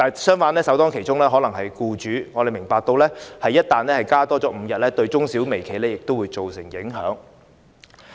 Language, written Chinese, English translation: Cantonese, 相反，首當其衝的必然是僱主，我們明白一旦增加5天假期，對中小微企會造成影響。, On the contrary employers will definitely bear the brunt . We understand that increasing the number of holidays by five days will have impacts on small and medium enterprises